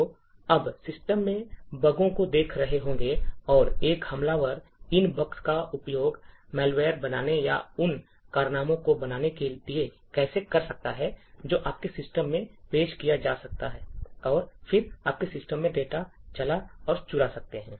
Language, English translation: Hindi, So, you will be looking at bugs in the system, and how an attacker could utilise these bugs to create malware or create exploits that could be introduced into your system and then could run and steal data in your system